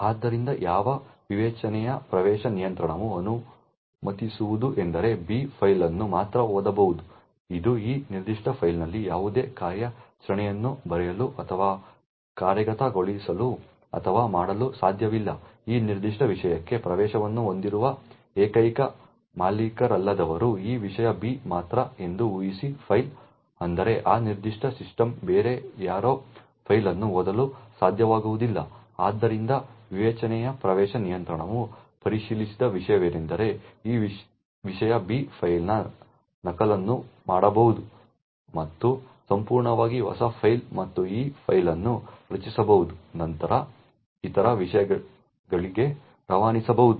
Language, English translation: Kannada, So what discretionary access control would permit is that B can only read to the file, it cannot write or execute or do any other operation on this particular file, further assuming that this subject B is the only non owner who has access to this particular file, it would mean that no one else in that particular system would be able to read the file, so what discretionary access control does not check is that this subject B could make a copy of the file and create a totally new file and this file can be then pass on to other subjects